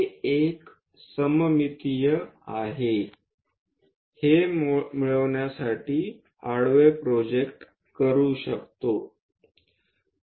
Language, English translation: Marathi, It is a symmetric 1 so, one can horizontally project it to get this